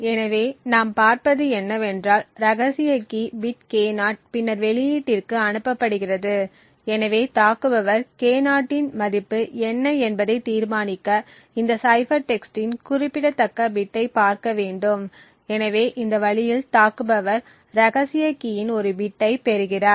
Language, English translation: Tamil, So, therefore what we see is that secret key bit K0 is then passed to the output, so the attacker would just need to look at these significant bit of cipher text to determining what the value of K0 is, so in this way the attacker has obtained one bit of the secret key